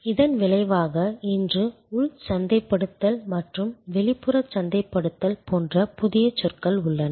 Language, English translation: Tamil, As a result today we have new terminologies like say internal marketing and external marketing